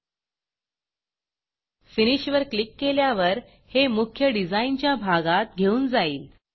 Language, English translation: Marathi, Once you say Finish, it takes you to the main design area